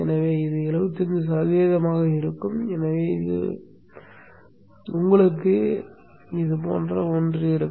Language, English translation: Tamil, So this would be 75% of the time and therefore you will have something like this